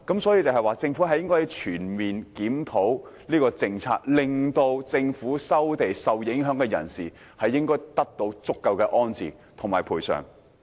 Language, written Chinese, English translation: Cantonese, 所以，政府應全面檢討這項政策，令受收地影響人士得到安置和足夠賠償。, Thus the Government should comprehensively review the policy so that the people affected by land resumption can be rehoused and adequately compensated